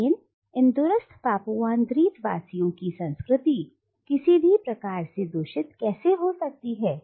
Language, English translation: Hindi, But how can the culture of these “remote” Papuan islanders be contaminated in any way